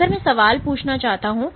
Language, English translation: Hindi, So, if I want to ask the question